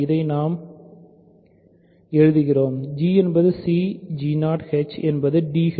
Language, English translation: Tamil, So, we write it like this, g is cg 0 h is d h 0